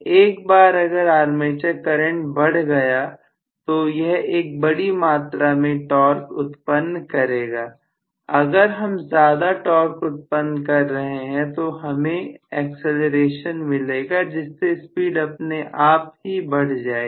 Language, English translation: Hindi, Once the armature current rises I will probably generate a larger torque, if I generate a larger torque there will be an acceleration so the speed automatically increases